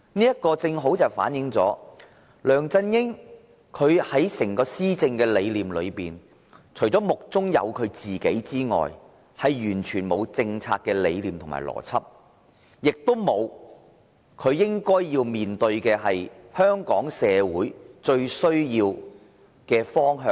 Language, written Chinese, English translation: Cantonese, 這正正反映梁振英的整個施政理念，除了是目中只有自己外，完全欠缺政策理念和邏輯，他亦欠缺觀察力，無法看見香港社會最應走的方向。, He is self - centred . He lacks any policy vision and logic . He lacks the ability of observation failing to perceive the best direction in which society of Hong Kong should head